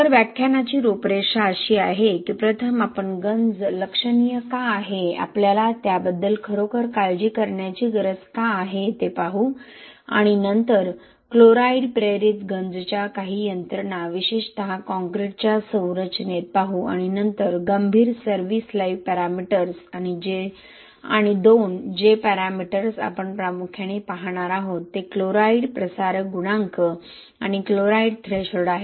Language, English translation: Marathi, So the outline of the lecture is first we will look at why the corrosion is significant, why we really need to worry about it and then looking at some mechanisms of chloride induced corrosion especially in concrete structure and then critical service life parameters and 2 parameters which we will be looking at mainly is chloride diffusion coefficient and the chloride threshold